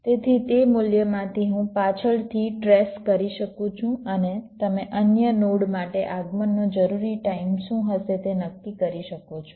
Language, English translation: Gujarati, from that value i can back trace and you can deduce what will be the required arrival time for the other nodes